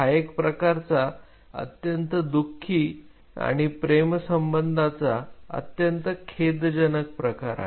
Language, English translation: Marathi, It is a kind of a very sad and a very sorry state of affair